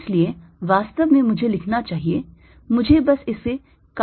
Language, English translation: Hindi, so actually i should be writing: let me just cut this and correct